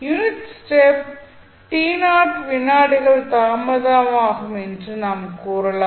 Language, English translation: Tamil, We can say that unit step is delayed by t naught seconds